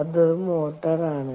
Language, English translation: Malayalam, thats a motor